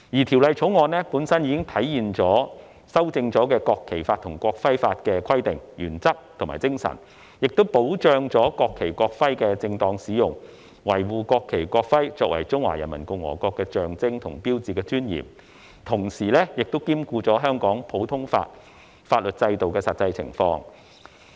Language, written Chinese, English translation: Cantonese, 《條例草案》本身已體現經修正《國旗法》及《國徽法》的規定、原則和精神，並保障國旗和國徽的正當使用，維護國旗和國徽作為中華人民共和國的象徵和標誌的尊嚴，同時兼顧香港普通法法律制度的實際情況。, The Bill per se reflects the provisions principles and spirit of the amended National Flag Law and the amended National Emblem Law safeguards the proper use and preserves the dignity of the national flag and national emblem which are the symbols and signs of the Peoples Republic of China whilst taking into account the actual circumstances in Hong Kong under our common law system